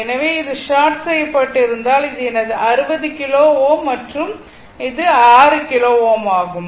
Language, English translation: Tamil, So, if this is sort, then this is my 60 kilo ohm and this is my 6 kilo ohm right